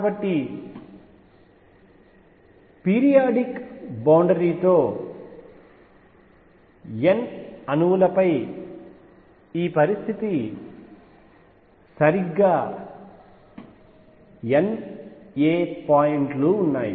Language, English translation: Telugu, So, with periodic boundary this condition over n atoms, there are exactly N a points all right